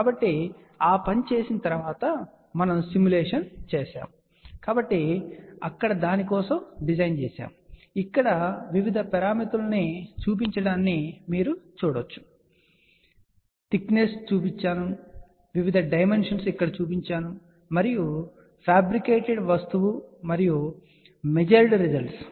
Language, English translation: Telugu, So, after doing that we did the simulation, so here is the design for that, you can see the variousparameters are shown over here thicknesses are shown, the various dimensions are shown over here and this is the fabricated thing and these are the now measured results